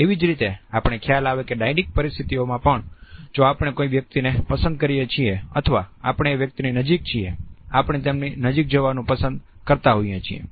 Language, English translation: Gujarati, In the same way we would find that in dyadic situations also, if we like a person or if we are close to a person, we tend to move closer to them